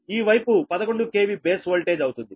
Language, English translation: Telugu, so this side will be eleven k v base voltage right now